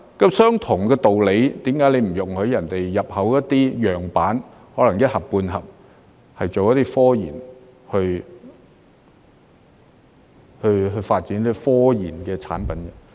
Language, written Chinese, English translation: Cantonese, 按相同的道理，為何你不容許人家入口一些樣板，可能是一盒半盒，用來做科研、去發展科研的產品？, By the same token why do you not allow people to import some samples maybe a box or two for RD purpose to develop RD products?